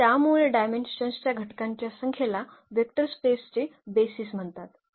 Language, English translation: Marathi, So now, the dimension so, the number of elements in a basis is called the dimension of the vector space